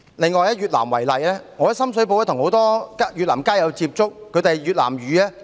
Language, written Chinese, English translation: Cantonese, 另一個例子是越南，我在深水埗曾與很多越南街友接觸，他們以越南語為母語。, Another example is Vietnam . I have been in contact with many Vietnamese street friends in Sham Shui Po and their mother tongue is Vietnamese